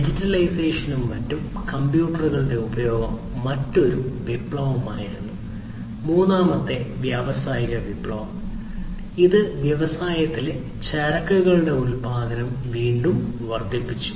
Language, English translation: Malayalam, So, the use of computers digitization and so on was another revolution the third industrial revolution, which again increased the production of goods and commodities in the industry